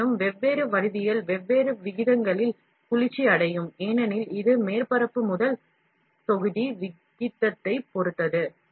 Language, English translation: Tamil, However, different geometries will cool at different rates, because it depends on surface to volume ratio